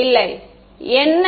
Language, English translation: Tamil, Yeah no so, what